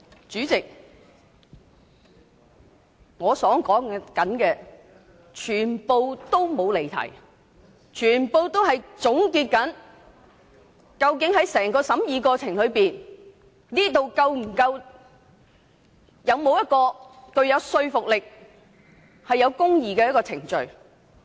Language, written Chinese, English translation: Cantonese, 主席，我的發言完全沒有離題，因為我正在總結整個審議過程究竟是否一項具說服力及公義的程序。, Chairman I have not digressed from the subject at all because I am concluding whether the whole process of scrutiny is convincing with procedural justice upheld